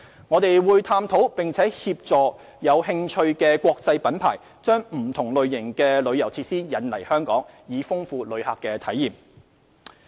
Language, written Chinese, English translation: Cantonese, 我們會探討並協助有興趣的國際品牌把不同類型的旅遊設施引入香港，以豐富旅客體驗。, We will continue to explore with and provide assistance to interested international brands in introducing different types of tourist facilities into Hong Kong for enriching visitors experience